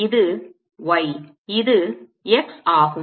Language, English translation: Tamil, this is y, this is x